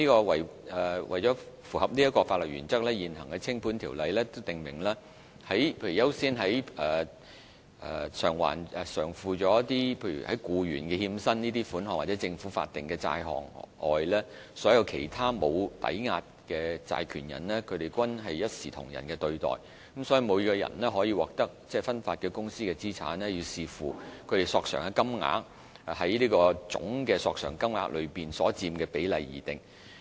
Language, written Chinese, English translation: Cantonese, 為符合此項法律原則，現行相關的清盤條例訂明，在優先償付僱員欠薪等款項或政府法定的債項外，所有其他無抵押債權人均須獲同等對待。所以，每個人可獲得分發的公司資產，需要視乎他們索償的金額在總索償金額中所佔比例而定。, To comply with this principle the existing regulation on winding - up stipulates that except for cases of employees wages in arrears and government statutory debts all other unsecured creditors must be treated on an equal footing with the company assets distributed to each such creditor subject to the proportion of the claim amount of each of them in the total claim amounts